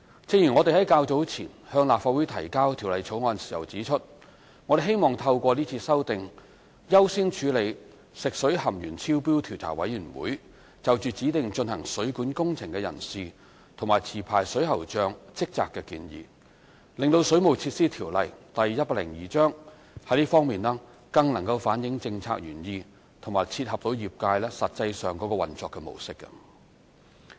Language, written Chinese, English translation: Cantonese, 正如我們較早前向立法會提交《條例草案》時指出，我們希望透過這次修訂，優先處理食水含鉛超標調查委員會就指定進行水管工程的人士及持牌水喉匠職責的建議，令《水務設施條例》在這方面，更能反映政策原意和切合業界實際上的運作模式。, As we stated when the Bill was previously introduced to the Legislative Council in this legislative amendment exercise it is our wish to prioritize the implementation of the recommendations made by the Commission of Inquiry into Excess Lead Found in Drinking Water on persons designated for carrying out plumbing works and the duties of licensed plumbers so that the Waterworks Ordinance Cap . 102 can better reflect the policy intent and cater to the industry practice in this respect